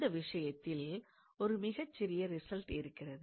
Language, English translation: Tamil, Now, there is a very small result in this regard